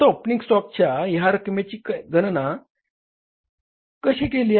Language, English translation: Marathi, Now how this figure of the opening stock has been calculated